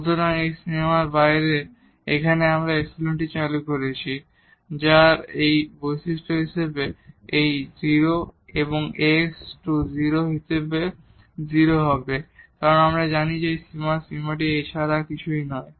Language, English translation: Bengali, So, having this now out of this limit we have in introduce this epsilon which has this property that it will go to 0 as delta x goes to 0, because we know that this limit of this quotient is nothing but A